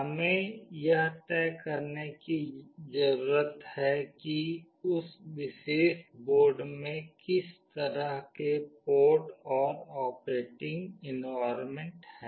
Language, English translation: Hindi, We need to decide upon that or what kind of ports are there in that particular board and the operating environment